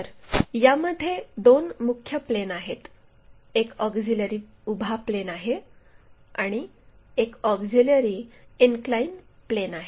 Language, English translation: Marathi, So, there are two mainly two planes; one is auxiliary vertical plane other one is auxiliary inclined plane